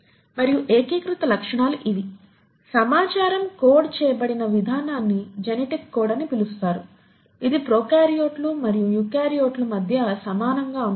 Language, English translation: Telugu, And the unifying features are these; the way in which the information is coded which is what you call as genetic code is similar between prokaryotes and eukaryotes